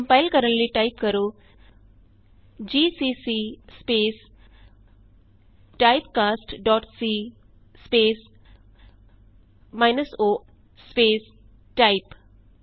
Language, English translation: Punjabi, To compile, type gcc space typecast dot c space minus o space type.Press Enter